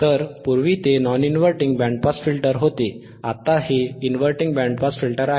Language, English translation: Marathi, So, earlier it was non inverting band pass filter, this is inverting band pass filter